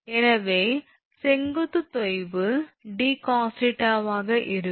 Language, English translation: Tamil, So, vertical sag will be your d cos theta